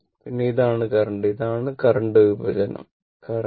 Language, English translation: Malayalam, Then , this is the current and this is the current division right, current